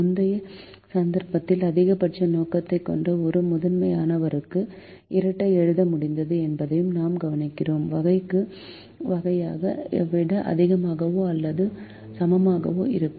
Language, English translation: Tamil, we also observe that in the earlier instance we were able to write the dual for a primal which has a maximization objective, all constraints less than or equal to type and all variables greater than or equal to type